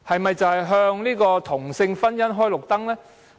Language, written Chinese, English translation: Cantonese, 有否向同性婚姻"開綠燈"？, Has it given the green light to same - sex marriage?